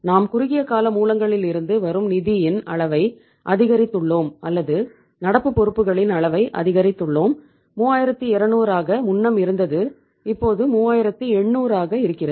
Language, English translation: Tamil, We have increased the magnitude of the funds coming from the short term sources or the level of current liabilities which is was earlier 3200, now it is 3800